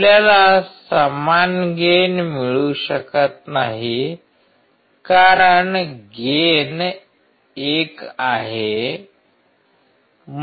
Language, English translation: Marathi, We cannot have same gain which is 1